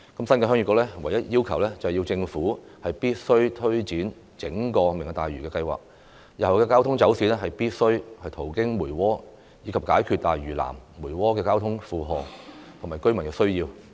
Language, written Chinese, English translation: Cantonese, 新界鄉議局唯一要求，是政府必須推展整個"明日大嶼"計劃，日後的交通走線必須途經梅窩，以解決大嶼南、梅窩的交通負荷及居民需要。, The only request of the Heung Yee Kuk is that when implementing the entire Lantau Tomorrow Vision traffic routes must pass through Mui Wo in order to address the traffic load issue and the needs of the residents in South Lantau and Mui Wo